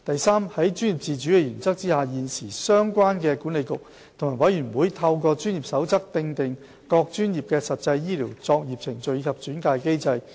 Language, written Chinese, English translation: Cantonese, 三在專業自主的原則下，現時相關管理局及委員會透過專業守則訂定各專業的實際醫療作業程序及轉介機制。, 3 Under the principle of professional autonomy the Council and its boards currently set out practical operational procedures and referral mechanisms for their respective professions by issuing codes of practice